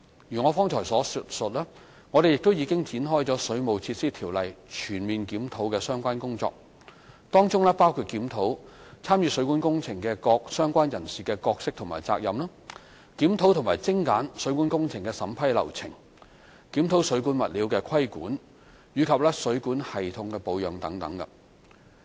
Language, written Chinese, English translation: Cantonese, 如我剛才所述，我們亦已展開《水務設施條例》全面檢討的相關工作，當中包括檢討參與水管工程的各相關人士的角色和責任，檢討及精簡水管工程的審批流程，檢討水管物料的規管及水管系統的保養等。, As I said just now we are conducting a holistic review of the Ordinance to among others examine the roles and responsibilities of all relevant parties in plumbing works review and streamline the approval procedures of plumbing works and examine the regulation of plumbing materials and the maintenance of plumbing systems